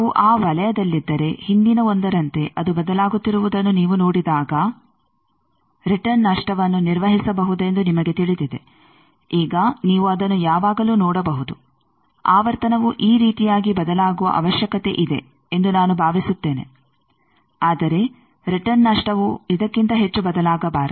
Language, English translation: Kannada, If they are within that circle you know that return loss is manageable like in the previous 1 when you see that it is varying, now you can always see that, suppose I have also have a requirement that frequency may vary like this, but return loss should not vary more than this